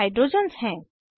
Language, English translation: Hindi, These are the Hydrogens